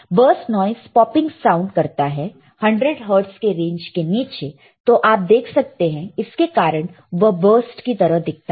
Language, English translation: Hindi, Burst noise makes a popping sound at rates below 100 hertz you see that is why it looks like a burst all right it makes a popping sound